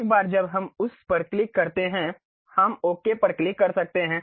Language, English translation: Hindi, Once we click that, we can click Ok